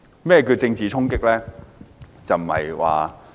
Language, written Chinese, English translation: Cantonese, 何謂政治衝擊呢？, What is a political impact?